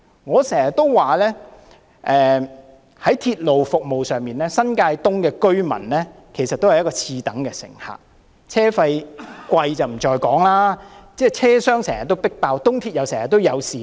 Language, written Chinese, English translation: Cantonese, 我經常說，在鐵路服務上，新界東的居民其實是次等乘客，車費昂貴不在話下，車廂又經常擠滿乘客，東鐵線更經常出現事故。, I often describe residents of New Territories East as second - class passengers in respect of railway service . Not only are the fares expensive but the train compartments are also constantly packed to capacity . To make things worse incidents always occur on the East Rail Line